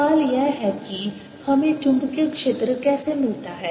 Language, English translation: Hindi, the question is, how do we get the magnetic field